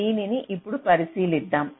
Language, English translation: Telugu, so let us look into this